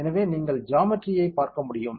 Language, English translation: Tamil, So, you can see the geometry ok